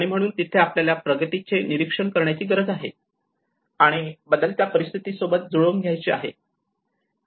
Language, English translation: Marathi, So this is where we need to see the monitor progress and adjust to changing circumstances